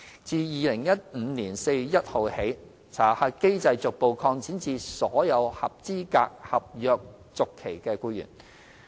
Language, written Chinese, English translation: Cantonese, 自2015年4月1日起，查核機制逐步擴展至所有合資格合約續期僱員。, Since 1 April 2015 the SCRC Scheme has been gradually extended to cover all eligible contract renewal staff